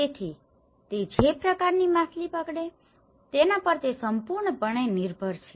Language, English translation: Gujarati, So, it depends completely on the kind of fish catch they get